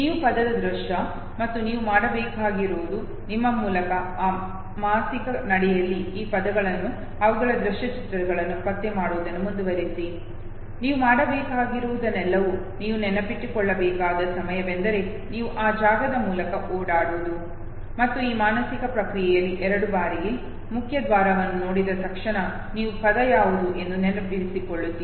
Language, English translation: Kannada, You from the visual image of the word okay, and all you have to do is, that in that very mental walk through you keep on locating these words okay, the their visual images, so that next time when you have to reconnect all you have to do is, that you have just walk through that very space okay, and in this process of mental walk through the second time okay, the moment you see the main gate you remember what was the word